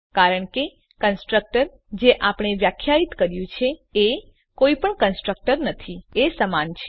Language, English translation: Gujarati, This is because the constructor, that we defined is same as having no constructor